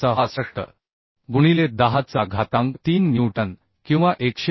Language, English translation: Marathi, 66 into 10 to the 3 newton or 101